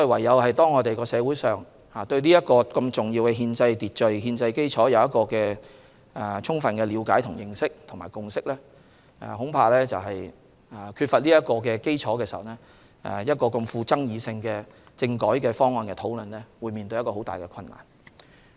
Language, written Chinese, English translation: Cantonese, 因此，社會上須對此重要的憲制秩序和憲制基礎有充分的了解、認識和共識，如缺乏此基礎，要討論如此具爭議的政改方案恐怕十分困難。, Hence there must be adequate understanding awareness and consensus on such key constitutional order and bases in society . Without such bases it would be extremely difficult for a discussion on such a controversial topic as constitutional reform packages